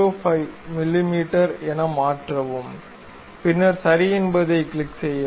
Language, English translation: Tamil, 05 mm, then click ok